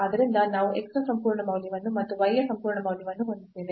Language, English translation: Kannada, So, we have absolute value of x plus absolute value of y